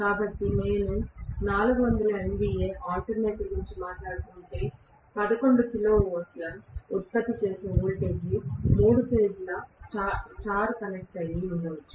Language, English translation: Telugu, So, if I am talking about a 400 MVA alternator with let us say 11 kilo volt generating voltage, right, maybe three phase star connected